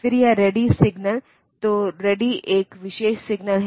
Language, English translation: Hindi, Then this ready signal so, ready is a special signal